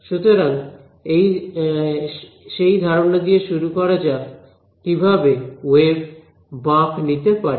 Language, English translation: Bengali, So, let us just start with the idea of waves that are bending right